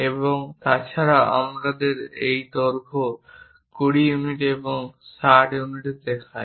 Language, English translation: Bengali, In that case we show its height and also we show its length, 20 units and 60 units